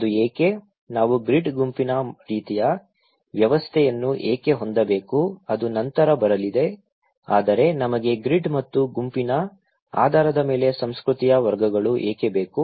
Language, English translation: Kannada, Why it is so, why we need to have grid group kind of system which will come later but why we need categories the culture based on grid and group